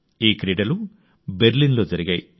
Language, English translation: Telugu, It was organized in Berlin